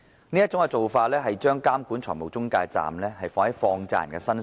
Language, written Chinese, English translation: Cantonese, 這種做法其實把監管財務中介的責任置於放債人身上。, Such a practice has actually put the responsibility of regulating financial intermediaries on money lenders